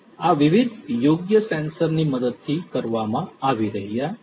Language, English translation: Gujarati, These are being done with the help of different appropriate sensors